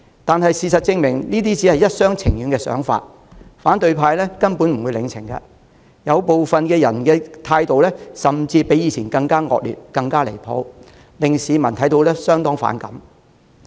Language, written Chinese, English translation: Cantonese, 唯事實證明，這只是特首一廂情願，反對派根本不領情，部分人的態度甚至比以前更惡劣、更離譜，市民看在眼裏相當反感。, The opposition remains unmoved . Some of them have even held attitudes nastier and more outrageous than before to the antipathy of the public on the sidelines